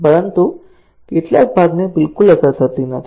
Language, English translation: Gujarati, But, some part is not affected at all